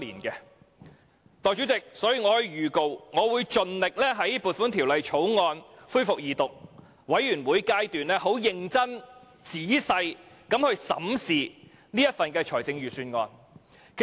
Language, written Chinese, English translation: Cantonese, 代理主席，我特此預告，我會盡力在《2017年撥款條例草案》恢復二讀及全體委員會審議階段時認真、仔細審視這份預算案。, Deputy President I hereby say in advance that I will try my best to earnestly examine this Budget in detail during the resumption of the Second Reading and the Committee stage of the Appropriation Bill 2017